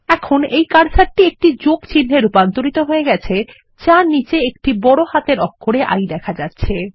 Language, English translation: Bengali, Now the cursor has been transformed into a Plus sign with a small capital I beneath it